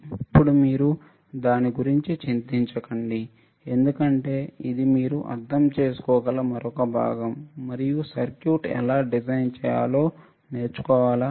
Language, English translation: Telugu, Now, we do not worry about it because that is another part where you can understand and learn how to design the circuit